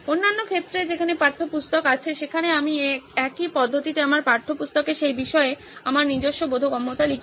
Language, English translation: Bengali, In the other cases, where textbook is there I write my own understanding of that topic in my textbook in the same system